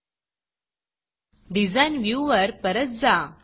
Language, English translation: Marathi, Let us switch back to the Design view